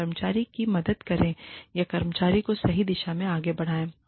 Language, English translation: Hindi, And, help the employee, or steer the employee, in the right direction